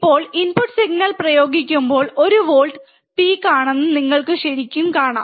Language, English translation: Malayalam, Now, if you really see that when we have applied the input signal which is one volt peak to peak, right